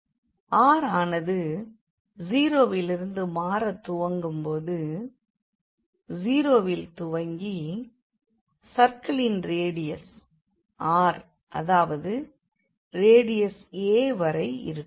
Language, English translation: Tamil, And r is varying from 0, it is starts from 0 up to this circle here which is r is equal to a